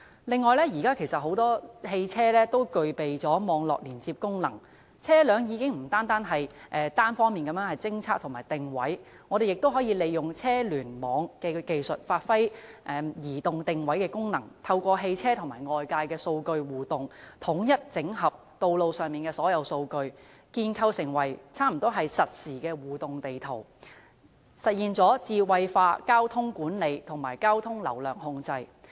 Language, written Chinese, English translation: Cantonese, 此外，現時不少汽車都具備網絡連接功能，車輛已經不單可作單方面偵測和定位，我們亦可以利用車聯網技術，發揮移動定位的功能，透過汽車與外界的數據互動，統一整合道路上所有數據，建構成幾乎實時的互動地圖，實現智慧化交通管理和交通流量控制。, Nowadays quite many vehicles have networking functions to perform more than detection and positioning functions . We can also make use of V2X technology to perform mobile positioning functions . Through interaction of vehicles with external data and integration with all the data collected on roads a close to real - time interactive map can be developed to realize smart traffic management and traffic flow control